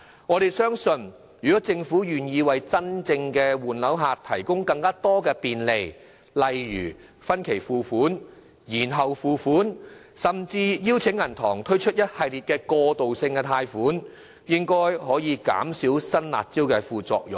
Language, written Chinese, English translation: Cantonese, 我們相信政府若願意為真正的換樓買家提供更多便利，例如分期付款、延後付款，甚至邀請銀行推出一系列過渡性貸款，應可減少新"辣招"的副作用。, It is our belief that the side effects caused by the new harsh measures would be minimized if the Government is willing to offer more convenient arrangements to buyers who are genuinely changing flat such as payment of stamp duty by installments deferred payment of stamp duty or even the provision of a series of transitional loans by banks